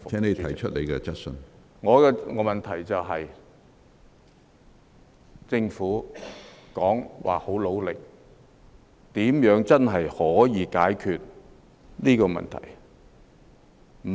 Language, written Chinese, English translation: Cantonese, 我的補充質詢是，政府說會很努力，但如何真的可以解決這問題？, My supplementary question is The Government said it will make great endeavours but how can such a problem be truly solved? . It cannot be all talk and no action